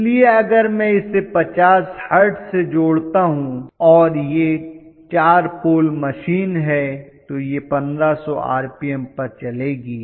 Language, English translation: Hindi, So if I connect it to 50 Hertz no matter what, if it is a 4 pole machine it is going to run at 1500 rpm